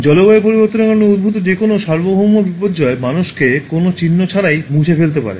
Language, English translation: Bengali, Any global disaster that is induced because of climate change can wipe out human beings without any trace